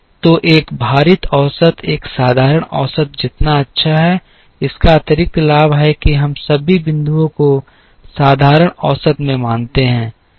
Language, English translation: Hindi, So, a weighted average is as good as a simple average, it has the additional advantage that we consider all the points as in simple average